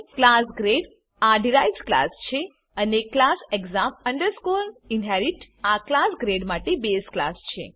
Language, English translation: Gujarati, Class grade is the derived class And class exam inherit is the base class for class grade